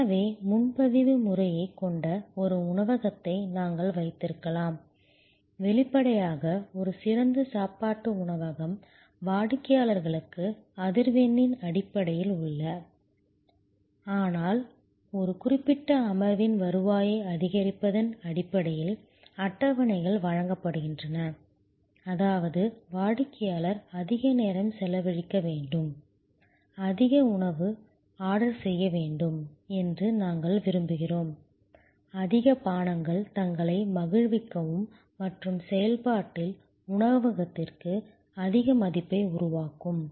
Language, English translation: Tamil, So, we can have a restaurant which has a reservation system; obviously, a fine dining restaurant, where tables are given to customers not on the basis of frequency, but on the basis of maximizing the revenue from a particular session, which means that, we want the customer to spent more time, order more food, more drinks, enjoy themselves and in the process also, create more value for the restaurant